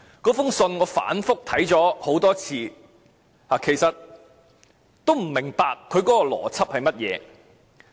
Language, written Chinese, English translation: Cantonese, 我反覆看過這封信，也不明白它的邏輯為何。, I have read the letter time and again but still cannot make sense of its logic